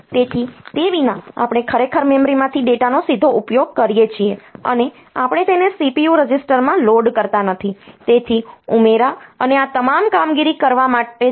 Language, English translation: Gujarati, So, without so, we it is actually use the data from the memory directly, and we do not do not load it into the CPU registers; so for doing the addition and all this operation